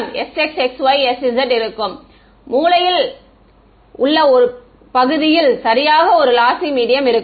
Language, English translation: Tamil, Sir in the corner region will there be exactly a lossy medium